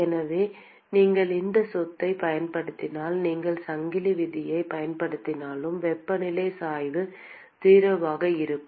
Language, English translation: Tamil, So, if you use that property then even if you use chain rule that temperature gradient will be 0